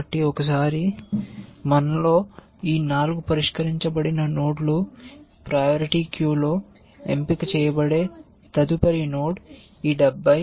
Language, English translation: Telugu, this 4 solved nodes in my, in the priority queue, the next node that will get picked is this one 70, one is 70